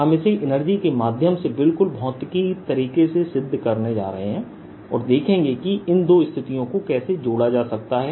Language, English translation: Hindi, we are going to look at it very physically through energy considerations and see how the two situations can be related